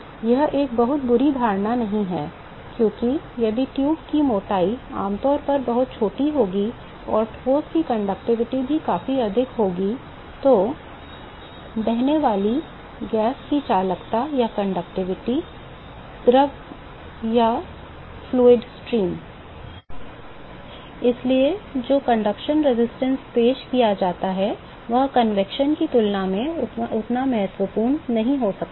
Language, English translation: Hindi, It is not a very bad assumption to make, because if the thickness of the tube will be typically very very small and also the conductivity of the solid is significantly higher than the conductivity of the gas flowing that we have or the fluid stream